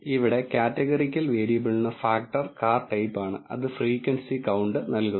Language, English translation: Malayalam, For the categorical variable which is the factor car type here it returns the frequency count